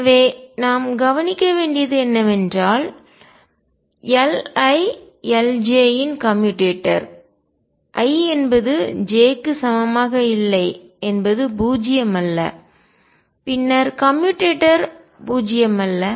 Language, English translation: Tamil, So, what we notice is that the commutator of L i L j, i not equals to j is not zero and then the commutator is not zero